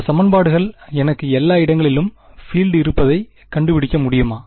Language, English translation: Tamil, Do this equations tell me the field everywhere